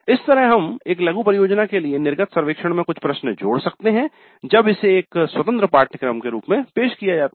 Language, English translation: Hindi, Like this we can add certain questions in the exit survey for a mini project when it is offered as an independent course